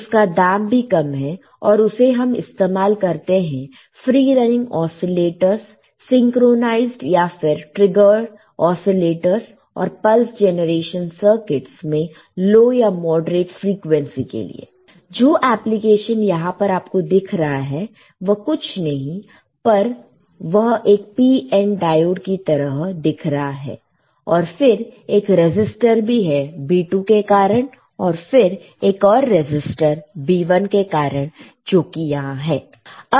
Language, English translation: Hindi, So, UJT is a non linear amplifier it is a low cost and used in free running oscillators synchronized or trigger oscillators and pulse generation circuits at low to moderate frequencies this application now you see here it is nothing, but it looks like a PN diode right and then there is a resistor due to the B 2 here and then the resistor due to B 1 which is here, right